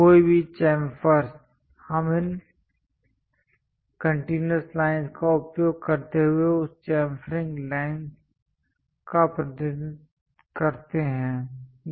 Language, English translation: Hindi, Any chamfers, we represent including that chamfering lens using these continuous lines